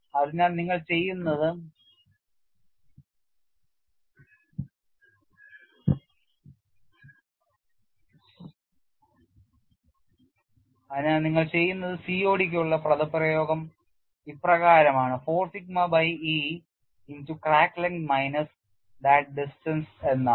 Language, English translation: Malayalam, So, what you do is, you have the expression for COD like 4 sigma by E into you have crack length minus the distance